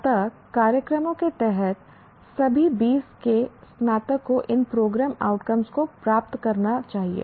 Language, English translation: Hindi, Graduates of all the 20 undergraduate programs should attain these program outcomes